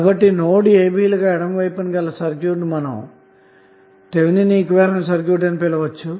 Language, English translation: Telugu, So that circuit to the left of this the node a b is called as Thevenin equivalent circuit